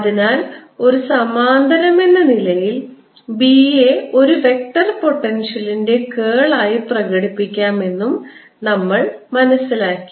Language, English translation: Malayalam, and therefore, as a corollary, we've also learnt that b can be expressed as curl of a vector potential, which we kept calculating